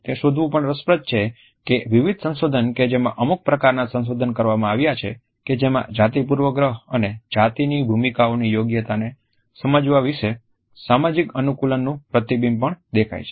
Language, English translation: Gujarati, It is also interesting to find that in various researches which have been conducted certain type of gender bias and a reflection of social conditioning about understanding appropriateness of gender roles is also visible